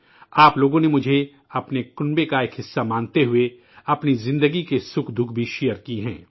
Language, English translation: Urdu, Considering me to be a part of your family, you have also shared your lives' joys and sorrows